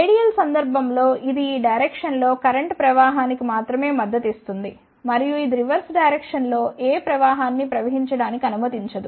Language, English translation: Telugu, In ideal case it will only support the current flow in this direction and it will not allow any current to flow in the reverse direction